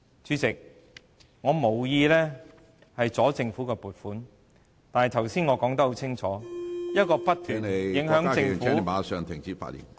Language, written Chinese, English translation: Cantonese, 主席，我無意阻礙政府的撥款，但我剛才已說得很清楚，一個不斷影響政府......, President I have no intention to block the appropriation for the Government but as I pointed out very clearly just now